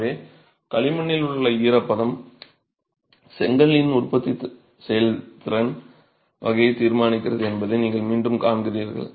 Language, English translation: Tamil, So, again you see that it's the moisture content in the clay that determines the kind of manufacturing process itself of the brick